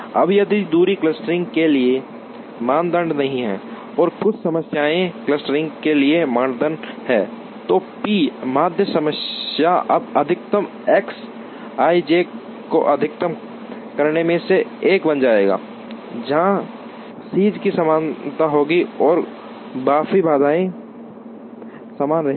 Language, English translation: Hindi, Now, if distances are not the criteria for clustering and some similarities are the criteria for clustering then the p median problem now will become one of maximizing s i j X i j, where s i j would be the similarity and the rest of the constraints will remain the same